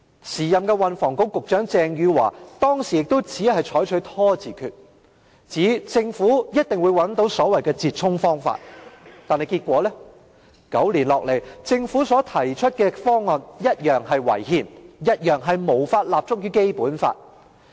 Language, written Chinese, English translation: Cantonese, 時任運輸及房屋局局長鄭汝樺當時亦只採取拖字訣，指政府一定會找到所謂的折衷方法，結果是9年後，政府所提出的方案同樣是違憲而無法立足於《基本法》。, The then Secretary for Transport and Housing Eva CHENG only adopted a stalling tactic saying that the Government would eventually find an expedient solution . Subsequently nine years later the proposal put forward by the Government is still unconstitutional and in breach of the Basic Law